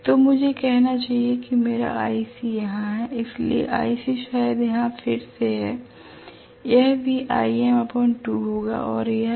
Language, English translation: Hindi, So I should say my ic is here, so ic is probably here again this will also be Im by 2 and this is FC